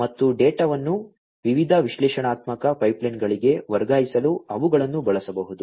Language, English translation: Kannada, And those could be used to transfer the data to different analytical pipelines